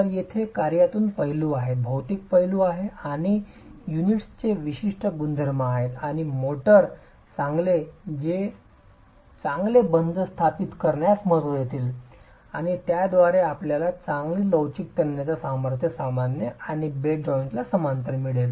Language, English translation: Marathi, So, there are workmanship aspects, material aspects and specific properties of the units and the motor that will matter in establishing good bond and thereby giving you good flexual tensile strength normal and parallel to the bed joint